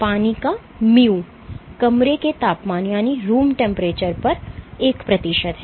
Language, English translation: Hindi, So, mu of water is one centipoise at room temperature